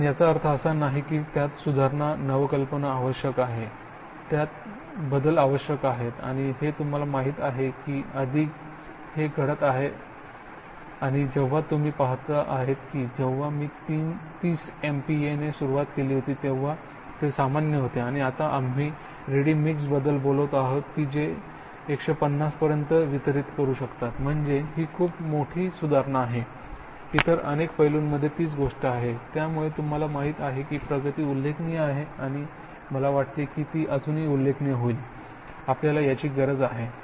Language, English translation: Marathi, But it does not mean that, it needs improvement innovation, it needs alteration and that is you know certainly already happening and when you look at it, when I started 30 MPa was the normal and the now we are talking about ready mix that can deliver 150, so that is a big big improve, the same thing in many many other aspects, so you know progress has been remarkable and I would think that it continues to be remarkable, we need that